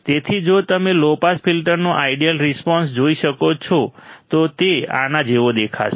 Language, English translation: Gujarati, So, if you see ideal response of the low pass filter, it will look like this